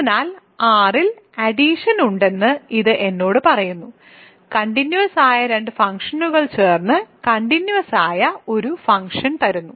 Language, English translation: Malayalam, So, this tells me that there is addition on R right, you give me two continuous functions I add them to get another continuous function